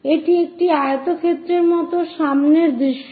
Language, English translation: Bengali, This is the front view like a rectangle we will see